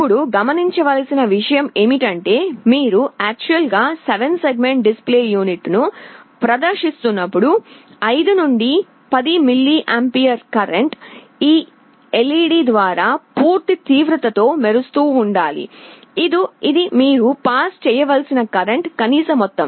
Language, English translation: Telugu, Now the point to note is that, when you are actually displaying a 7 segment display unit about 5 to 10 milliampere current is required to be passed through a LED for it to glow at full intensity; this is the minimum amount of current you have to pass